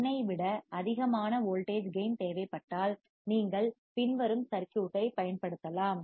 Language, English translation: Tamil, If a voltage gain greater than 1 is required, you can use the following circuit